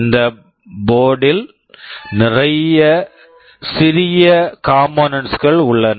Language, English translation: Tamil, This board contains a lot of small components